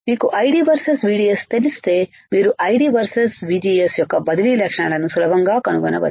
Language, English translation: Telugu, If you know ID versus VDS you can easily find transfer characteristics of ID versus VGS